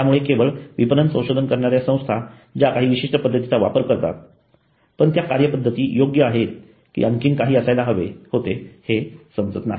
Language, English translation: Marathi, So only the marketing research firm uses a particular methodology but it is not understood whether that methodology is the correct methodology or there should have been something else